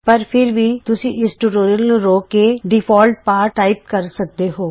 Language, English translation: Punjabi, However, you can pause this tutorial, and type the default text